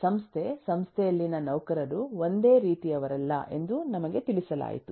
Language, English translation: Kannada, we were told that the organization, the employees in the organization are not of the same kind